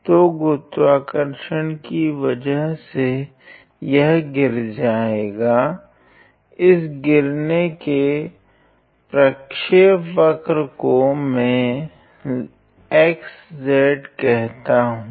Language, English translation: Hindi, So, due to the action of gravity it will fall, let me call that that falling trajectory by x comma z ok